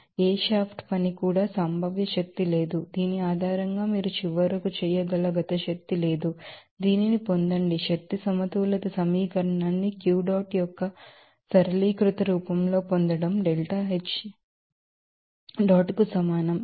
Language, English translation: Telugu, So, after considering that, no shaft work no potential energy no kinetic energy based on which you can finally, get this you know energy balance equation into a simplified form of Q dot will be equal to delta H dot